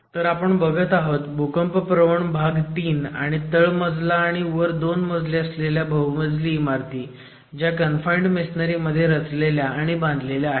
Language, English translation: Marathi, So, we are talking of seismic zone 3 and multi storied ground plus 2 constructions which have been designed and executed in confined masonry